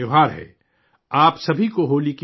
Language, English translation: Urdu, Happy Holi to all of you